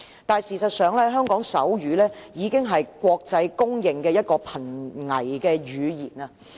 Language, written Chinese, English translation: Cantonese, 但是，事實上，香港手語已經是國際公認的瀕危語言。, But the truth is that the sign language in Hong Kong has been internationally recognized as an endangered language